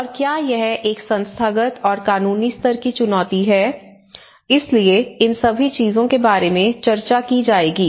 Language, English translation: Hindi, And whether it is an institutional level challenge, whether it is a legal challenge you know, so all these things will be discussing about